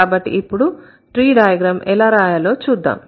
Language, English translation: Telugu, So, now let's see how to draw the tree